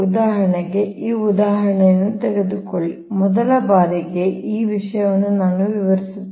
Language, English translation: Kannada, for example, take this example, that first time, this thing, then i will explain this